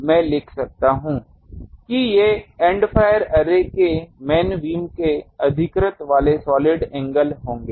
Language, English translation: Hindi, So, I can write solid angle occupied by the main beam of the End fire array will be these